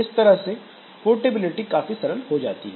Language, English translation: Hindi, So, that way the portability becomes simple